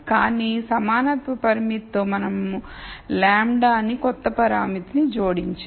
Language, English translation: Telugu, But with an equality constraint we have added a new parameter lambda